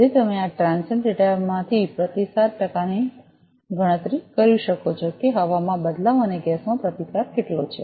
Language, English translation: Gujarati, So, you can calculate the response percent from this transient data that how much is this change resistance in air and resistance in gas